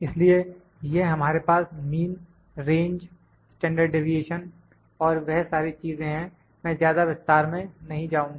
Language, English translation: Hindi, So, this is and we have mean, range, standard deviation all those things I am not going to more details of that